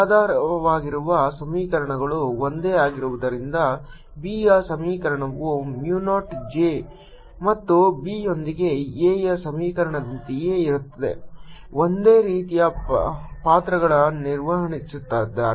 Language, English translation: Kannada, since the underlying equations are the same, the equation for b is going to be the same as the equation for a, with mu naught j and b playing similar roles